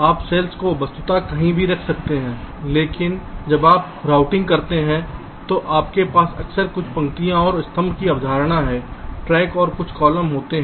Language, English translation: Hindi, you can place a cell virtually anywhere, but when you do routing you often have some rows and column concept tracks and some columns